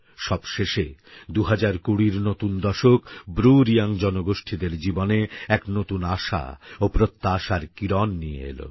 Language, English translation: Bengali, Finally the new decade of 2020, has brought a new ray of hope in the life of the BruReang community